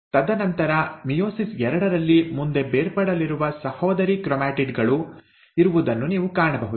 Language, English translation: Kannada, And then, in meiosis two, you will find that there are sister chromatids which will get separated